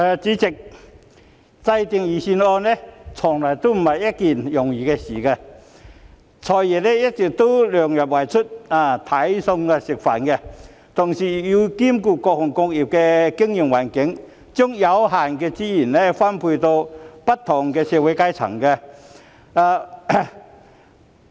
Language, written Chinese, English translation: Cantonese, 主席，制訂財政預算案從來不是一件易事，"財爺"一來要量入為出，"睇餸食飯"，同時又要兼顧各行各業的經營環境，把有限的資源分配給不同的社會階層。, President compiling the Budget has never been an easy task . The Financial Secretary FS not only has to keep expenditures within the limits of revenues and make good use of the resources available but also has to take into account the business environment of various trades and industries and allocate limited resources to people from different strata of society